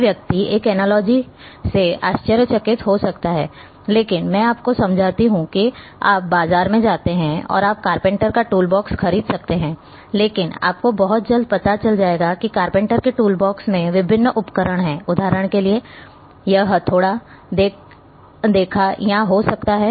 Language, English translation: Hindi, Someone may surprise with this analogy, but let me explain that you go in the market and you can buy a carpenter’s toolbox, but you will realize very soon that the carpenter’s toolbox having different tools for example, it is might be having hammer, saw or a you know to you know maybe drilling machine and so and so forth